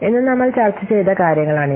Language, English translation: Malayalam, So these are the things that we have discussed on today